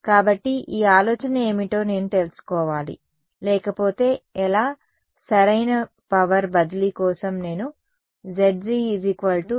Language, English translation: Telugu, So, I need to out what this idea is otherwise how so, for optimal power transfer what do I want Zg is equal to